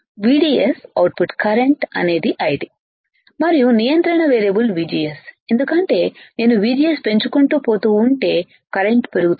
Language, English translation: Telugu, Now we know that output voltage is VDS output current is I D, and control variable is VGS because if I keep on increasing VGS my current increases correct